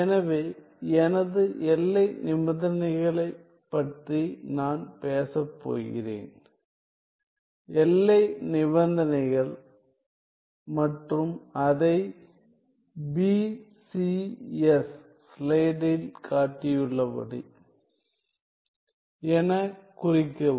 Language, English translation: Tamil, So, my boundary conditions I am going to talk about boundary conditions and denote it as B C S